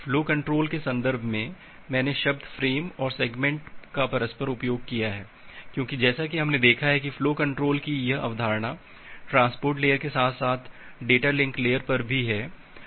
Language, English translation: Hindi, In the context of flow control, I have used the term frame and segment interchangeably because as we have seen that this concept of flow control is there at the transport layer as well as at the data link layer